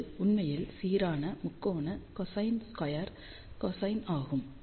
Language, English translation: Tamil, Which is actually uniform, triangular, cosine squared, cosine